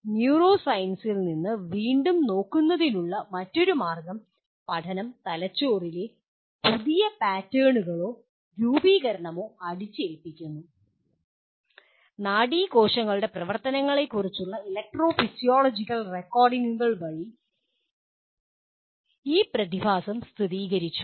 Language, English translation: Malayalam, Now another way of looking at again from neuroscience, learning imposes new patterns or organization in the brain and this phenomenon has been confirmed by electrophysiological recordings of the activity of nerve cells